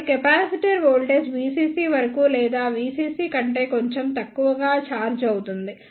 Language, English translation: Telugu, So, the capacitor will charge up to the voltage V CC or slightly less than V CC